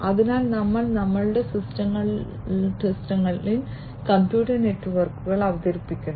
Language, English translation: Malayalam, So, we are introducing computers networks into our systems